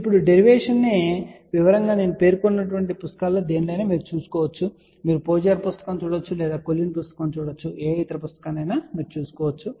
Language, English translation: Telugu, Now, the detail derivation you can find in any one of the books which I had mentioned for example, you can see Pozar book or you can see Collin's book and other book